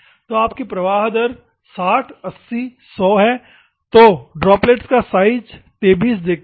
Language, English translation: Hindi, So, you are 60, 80, 100 similarly, droplet diameter if you see 23